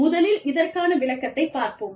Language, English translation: Tamil, The first point, is the explanation